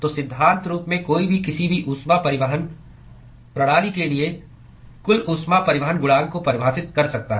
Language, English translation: Hindi, So, in principle one could define a overall heat transport coefficient for any heat transport system